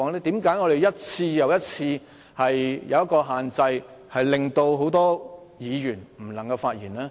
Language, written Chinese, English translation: Cantonese, 為何你一次又一次設下限制，令很多議員無法發言呢？, Why do you Chairman impose restrictions one after another to prevent many Members from speaking?